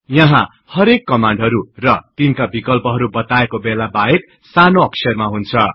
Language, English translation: Nepali, Here all commands and their options are in small letters unless otherwise mentioned